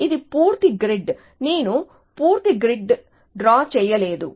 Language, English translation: Telugu, It is a complete grid, I am not drawn the complete grid